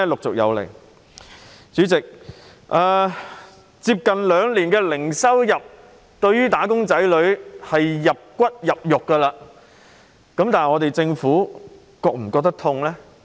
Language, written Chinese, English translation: Cantonese, 主席，接近兩年零收入，對"打工仔女"已經是"入骨入肉"，但政府是否感到痛呢？, President wage earners have been enduring zero income for close to two years their savings are running out . However does the Government feel the pain?